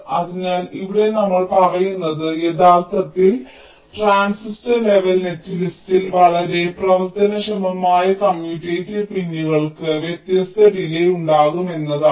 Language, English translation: Malayalam, so, uh, here what we are saying is that in actual transistor level, netlist, the commutative pins which are so functionally can have different delays